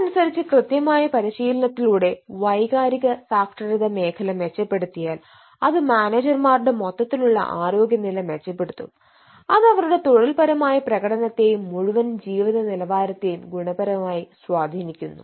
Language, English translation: Malayalam, so in the sense that eh, if the emotional literacy aspects is improved thru training, then the general or the overall health status of the managers may improve and that has a direct bearing on their performance as well as the overall quality of life